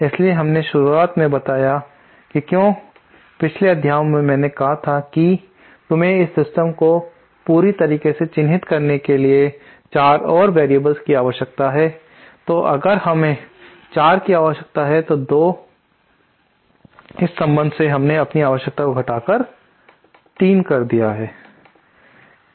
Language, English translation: Hindi, So we at the beginning made a why in the previous night I said we need 4 more you need 4 more variables to completely characterize the system so if we needed 4, so now with this relationship we have reduced the requirement to 3